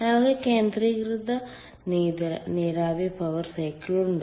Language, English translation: Malayalam, we have concentrated on vapor power cycle